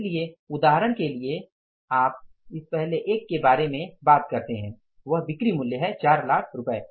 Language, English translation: Hindi, So, for example, you talk about this first one is the sales value that is 4 lakh rupees